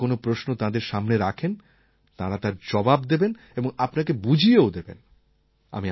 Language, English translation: Bengali, If you pose a question to them, they will reply to it; they will explain things to you